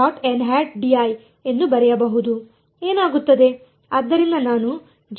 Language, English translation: Kannada, So, I will write j k by 4